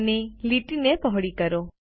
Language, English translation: Gujarati, We have widened the line